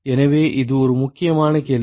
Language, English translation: Tamil, So, that is an important question